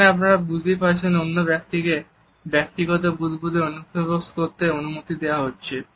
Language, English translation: Bengali, Here, as you can understand the other person is allowed to intrude into our personal bubble